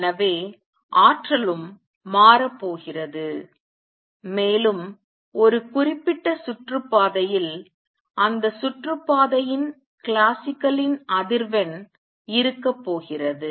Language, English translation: Tamil, And therefore, the energy is also going to change and what is claimed is that for a particular orbit is going to be the frequency of that orbit classical